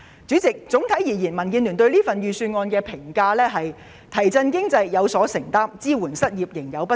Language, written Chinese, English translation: Cantonese, 主席，總體而言，民建聯對這份預算案的評價是"提振經濟，有所承擔；支援失業，仍有不足"。, President the overall comment of DAB on this Budget is that it is committed to stimulating the economy but deficient in unemployment support